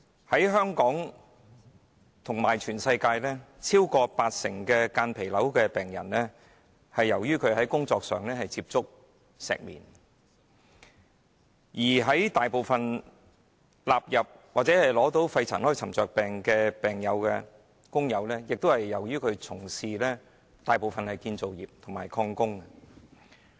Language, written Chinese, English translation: Cantonese, 在香港和世界各地，超過八成間皮瘤患者，曾在工作期間接觸石棉；而大部分患上肺塵埃沉着病的病友，均曾從事建築或礦工行業。, In Hong Kong and various places around the world more than 80 % of the patients suffering from mesothelioma have been exposed to asbestos in the course of work while most of the patients suffering from pneumoconiosis have been engaged in the construction or mining industry